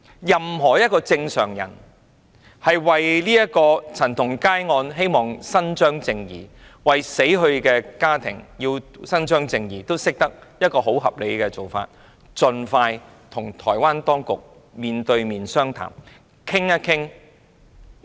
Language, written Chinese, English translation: Cantonese, 任何正常人皆認為，要就陳同佳案為死者家庭伸張正義，最合理的做法是政府盡快與台灣當局面談，研究處理方法。, Any normal human beings will agree that the most reasonable approach to seek legal redress for the family of the victim in the CHAN Tong - kai case is that the Hong Kong SAR Government should expeditiously discuss with the Taiwan authorities on how to handle the case